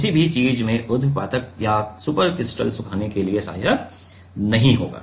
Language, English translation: Hindi, So, it will not be helpful for sublimation or supercritical drying in anything right